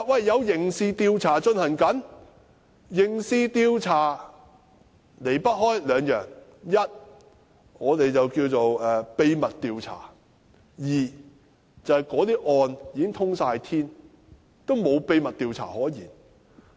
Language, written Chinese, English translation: Cantonese, 有刑事調查進行中，離不開兩件事，一是正進行秘密調查，二是案件已"通天"，沒有秘密調查可言。, What were the reasons? . Two things can happen in the course of a criminal investigation either a secret investigation is being conducted or the case has been exposed and there is nothing to hide